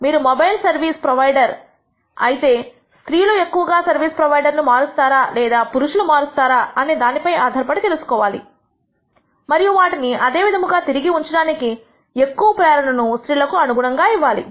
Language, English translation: Telugu, You can if you are a service provider mobile service provider you want to know whether women are more likely to change service provider than men and depending on that you might want to provide more incentives accordingly for women to retain them